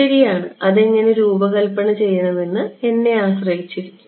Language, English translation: Malayalam, Well, it is up to me, how to design it